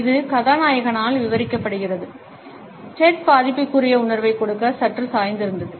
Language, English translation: Tamil, It even gets described by the protagonist; Ted had slightly tilted to give a sense of vulnerability